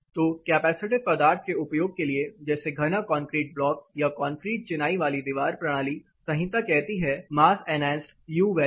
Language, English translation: Hindi, So, to give this allowance for using capacitive material like dense concrete blocks or a concrete masonry wall system itself, the code says mass enhanced U value